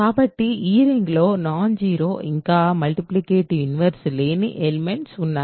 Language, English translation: Telugu, So, in this ring there do exist elements which are non zero yet do not have multiplicative inverses